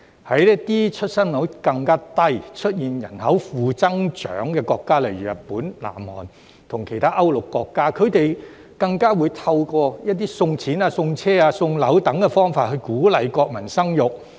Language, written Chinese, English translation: Cantonese, 在一些出生率更低，出現人口負增長的國家，例如日本、南韓，以及其他歐陸國家，它們更會透過送錢、送車、送樓等方法鼓勵國民生育。, In some countries with even lower birth rate and negative population growth eg . Japan South Korea and other countries in Continental Europe they have even encouraged their nationals to give birth by giving out money cars residential units and the like